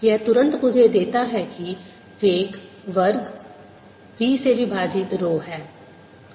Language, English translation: Hindi, this immediately gives me that velocity square is b over row